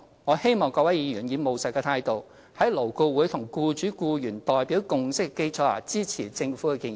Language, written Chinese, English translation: Cantonese, 我希望各位議員以務實的態度，在勞顧會僱主及僱員代表共識的基礎上，支持政府的建議。, I hope that Members will adopt a pragmatic approach and support the Governments proposals on the basis of the consensus reached between the representatives of the employers and the employees in LAB